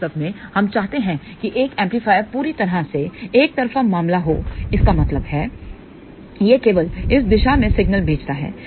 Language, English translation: Hindi, In fact, we would like an amplifier to be perfectly unilateral case; that means, it only send signals in this direction